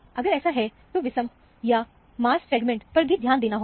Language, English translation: Hindi, If it is, pay attention to the odd, or even mass fragments also